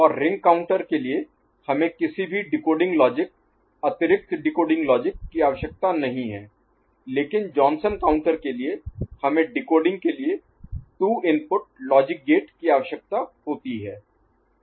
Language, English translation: Hindi, And for ring counter configuration we do not need any decoding logic, extra decoding logic, but for Johnson counter we need 2 input logic gate for decoding purpose